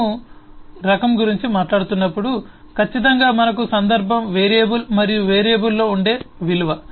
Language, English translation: Telugu, when we are talking about type, certainly we have the context is of a variable and a value that resides in the variable